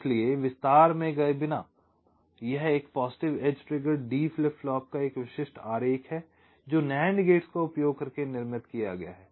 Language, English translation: Hindi, so, without going into the detail, this is a typical diagram of a positive edge triggered d flip flop constructed using nand gates